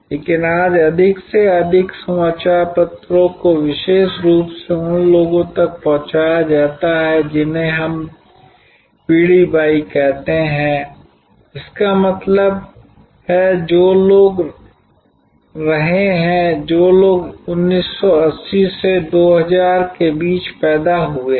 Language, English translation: Hindi, But, today more and more newspapers are delivered particularly to the people we call generation y; that means, people who have been, people who are born between 1980 to 2000